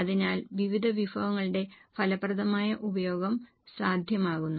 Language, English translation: Malayalam, So, there is effective utilization of various resources